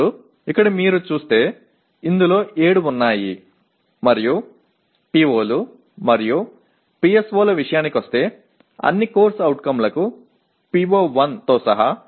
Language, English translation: Telugu, Now, here if you look at there are 7 in this and coming to POs and PSOs is only including PO1